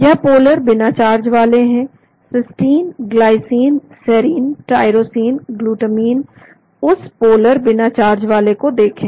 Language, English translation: Hindi, These are polar uncharged , cysteine, glycine, serine, tyrosine, glutamine look at that polar uncharged